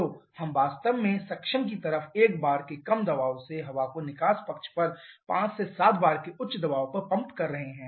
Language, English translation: Hindi, So, we are actually pumping air from low pressure of 1 bar at the suction side to higher pressure of 5 to 7 bar on the exhaust side